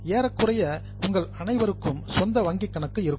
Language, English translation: Tamil, Almost all of you would have your own bank account